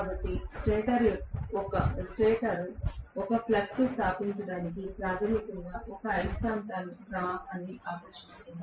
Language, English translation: Telugu, So the stator draws a magnetising current fundamentally to establish a flux